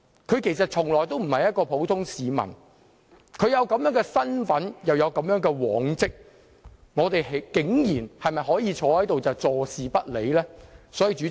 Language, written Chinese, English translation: Cantonese, 他其實從來不是一名普通市民，既有這種身份，亦有如此往績，我們是否可以坐視不理呢？, He has never been an ordinary citizen . Given his background and track record how can we just sit back and do nothing about it?